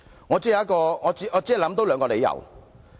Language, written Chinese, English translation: Cantonese, 我只能想到兩個理由。, I can only think of two reasons